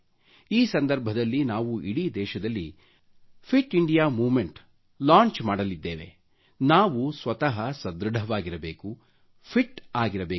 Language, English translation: Kannada, On this occasion, we are going to launch the 'Fit India Movement' across the country